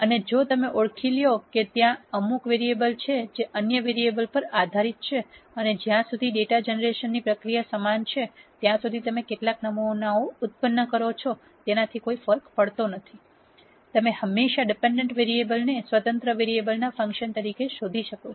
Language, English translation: Gujarati, And if you identify that there are certain variables which are dependent on other variables and as long as the data generation process is the same, it does not matter how many samples that you generate, you can always nd the de pendent variables as a function of the independent variables